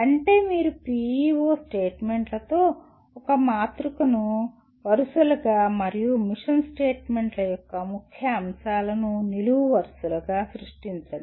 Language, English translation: Telugu, That means you create a matrix with PEO statements as the rows and key elements of the mission statements as the columns